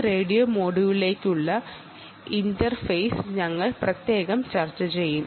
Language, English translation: Malayalam, we will discuss that interface to this radio module separately